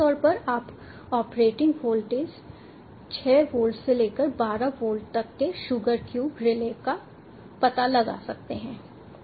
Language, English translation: Hindi, generally, ah, you can find sugar cube relays ranging from ah operating voltage as of six volts up to twelve volts